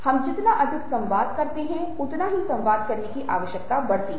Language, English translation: Hindi, the more we communicate, the more there is the need to communicate